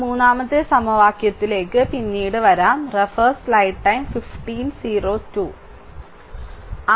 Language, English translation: Malayalam, So, if you if you come to that third equation will come later